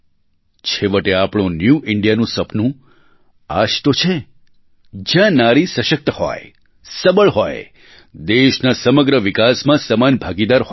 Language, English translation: Gujarati, After all, our dream of 'New India' is the one where women are strong and empowered and are equal partners in the development of the country